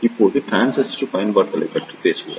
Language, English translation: Tamil, Now, we will talk about the transistor applications